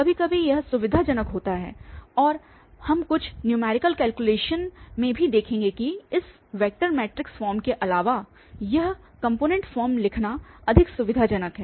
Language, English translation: Hindi, Sometimes it is convenient and we will also see in some numerical calculations that writing instead of this vector matrix form, this component form is much more convenient